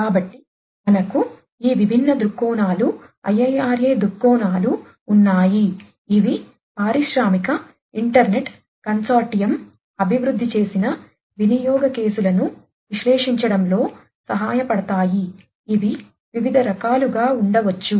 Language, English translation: Telugu, So, we have these different viewpoints IIRA viewpoints which can help in analyzing the use cases developed by the Industrial Internet Consortium which could be of different types